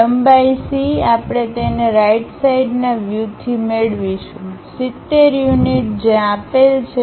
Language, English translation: Gujarati, The length C we will get it from the right side view, 70 units which has been given